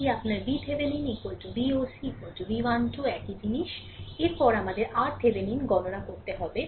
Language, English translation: Bengali, This is your V Thevenin is equal to V oc is equal to V 1 2 same thing, next is we have to compute R thevenin